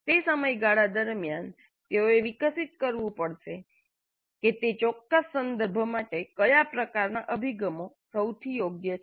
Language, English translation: Gujarati, So over a period of time they have to evolve what kind of approaches are best suited for their specific context